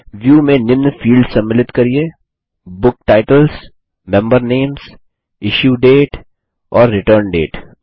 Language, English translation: Hindi, Include in the view, the following fields: Book Titles, Member Names, Issue Date, and Return Date